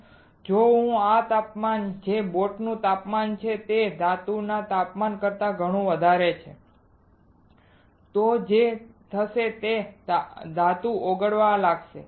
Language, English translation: Gujarati, So, if this temperature which is the temperature of the boat is way higher than the temperature of metal, what will happen is the metal will start melting